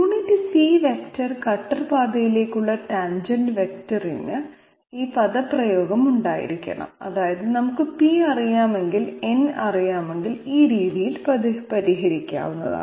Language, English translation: Malayalam, Unit C vector okay tangent vector to the cutter path must be having this expression that means it can be solved this way if we know p and if we know n